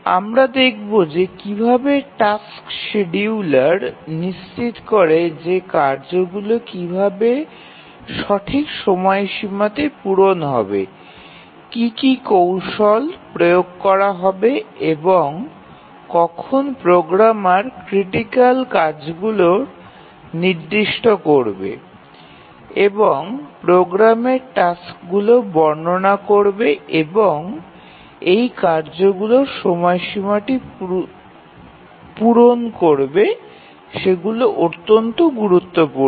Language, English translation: Bengali, We will see that how does the tasks scheduler ensure that the tasks meet the deadlines, that is one of the primary purpose of this course that what are the different techniques it applies and the programmer says that these are my critical tasks and meeting the deadline of these tasks are crucial and gives the tasks descriptions in the program